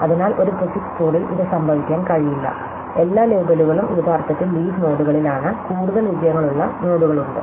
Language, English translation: Malayalam, So, in a prefix code this cannot happen, so therefore, all the labels are actually at leaf nodes, there it nodes which have are more successors